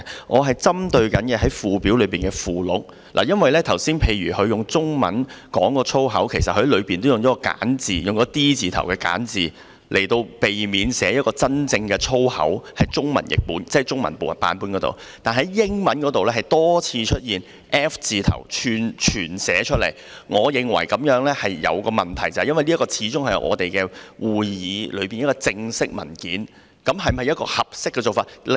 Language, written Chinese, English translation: Cantonese, 我針對的是附表的附錄，例如他剛才用中文說的粗口，其實文本也用了 "D 字"為首的簡化版，避免寫出真正的粗口；我說的是中文版本，但英文版卻多次出現 F 字頭的全寫粗口，我認為此舉有問題，因為這份始終是我們會議的正式文件，這是否一個合適的做法？, For example for the swear word he earlier said in Chinese actually a simplified version starting with the letter D was used in the text to avoid writing the original swear word . I am referring to the Chinese version . However the full swear word starting with the letter F appears multiple times in the English version which I think is a problem because after all this is an official paper for our meeting